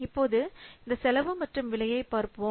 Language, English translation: Tamil, So now let's see this costing and pricing